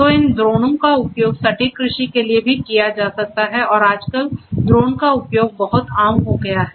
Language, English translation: Hindi, So, these drones can also be used for precision agriculture and nowadays use of drones has become very common